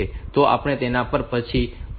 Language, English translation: Gujarati, So, we will come to that later